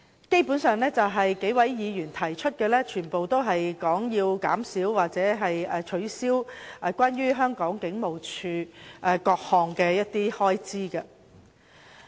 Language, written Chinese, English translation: Cantonese, 基本上，數位議員提出的修正案均涉及削減或取消香港警務處的各項開支。, Basically the amendments proposed by a number of Members involve reductions or cuts of various expenditures of the Hong Kong Police Force